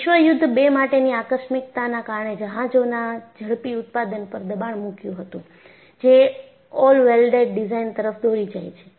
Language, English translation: Gujarati, Exigencies of World War 2 put a pressure on speedy production of ships leading to all welded design